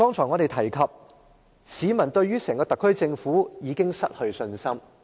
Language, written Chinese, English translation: Cantonese, 我剛才說市民對於特區政府已經失去信心。, I have said that people have lost all trust in the SAR Government